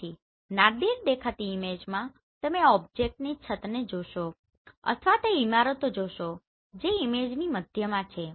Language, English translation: Gujarati, So in the Nadir looking image you will see the rooftop of the object right or the buildings which are in the center of the image